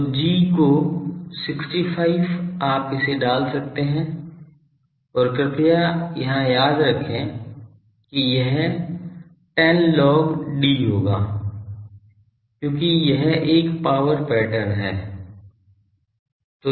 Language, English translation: Hindi, So, g of 65 you can put it and please remember here it will be 10 log d because it is a power pattern